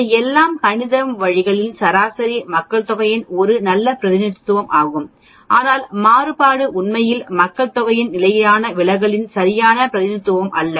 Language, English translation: Tamil, The mean of all these means is a good representation of the population mean but the variance is not really exact representation of the standard deviation of the population